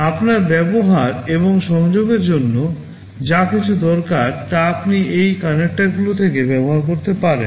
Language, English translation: Bengali, Whatever you need to use and connect you can use from this connectors